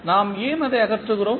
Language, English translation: Tamil, Why we remove it